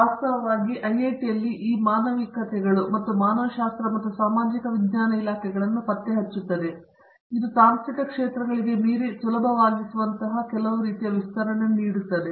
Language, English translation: Kannada, In fact, locating this humanities and humanities and social sciences department in IIT gives it, some kind of a expansion where it is easy to transcend to technological domains